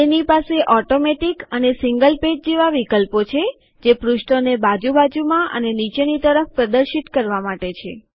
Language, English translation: Gujarati, It has options like Automatic and Single page for displaying pages side by side and beneath each other respectively